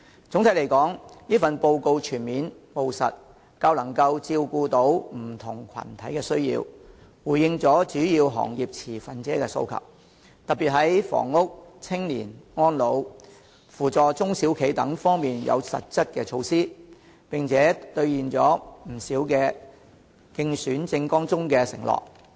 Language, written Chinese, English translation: Cantonese, 總體來說，此份報告全面、務實，較能照顧到不同群體的需要，回應了主要行業持份者的訴求，特別在房屋、青年、安老、扶助中小企等方面有實質的措施，並且兌現了不少競選政網中的承諾。, Generally speaking the address is comprehensive and pragmatic being able to cater for the needs of various groups and having responded to the aspirations of the stakeholders of major industries in particular substantive measures have been implemented in areas such as housing young people elderly care and assistance to small and medium enterprises SMEs and quite a number of pledges made in her election manifesto have been fulfilled